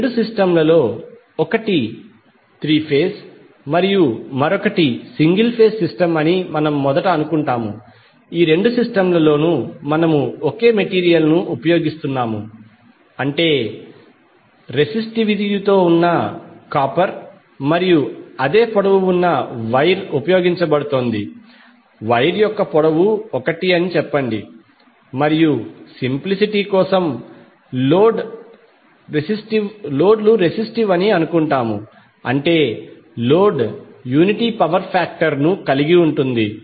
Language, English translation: Telugu, We will first assume that in both of these systems one is three phase and the other is single phase system, in both of these systems we are using the same material that means copper with the same resistivity and same length of the wire is being used, let us say that the length of the wire is l and for simplicity we will assume that the loads are resistive that means the load is having unity power factor